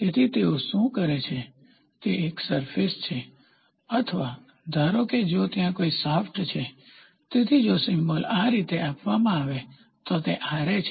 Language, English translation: Gujarati, So, what they do is there is a surface or suppose if there is a shaft, so if the symbol is given like this, so they say Ra